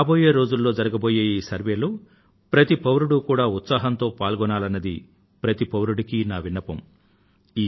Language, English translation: Telugu, And I appeal to every citizen to actively participate in the Cleanliness Survey to be undertaken in the coming days